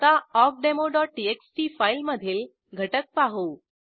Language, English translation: Marathi, Let us see the contents of awkdemo.txt file